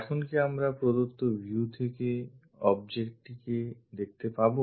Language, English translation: Bengali, Now can we visualize the object from the given views